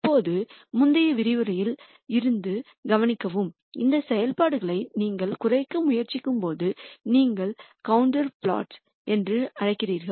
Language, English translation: Tamil, Now, notice from the previous lecture we described that while you try to minimize these functions you do what are called contour plots